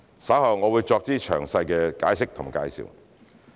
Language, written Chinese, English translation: Cantonese, 稍後我會再作詳細解釋及介紹。, I will present detailed explanation and introduction later